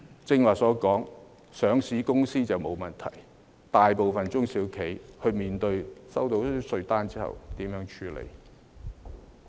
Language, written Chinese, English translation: Cantonese, 正如我剛才所說，是上市公司便沒問題，但大部分中小企收到稅單後，如何處理呢？, As I just said there is no problem for listed companies but upon receipt of the tax demand note what will most SMEs do about it?